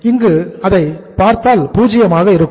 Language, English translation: Tamil, Here we have to see, this will be 0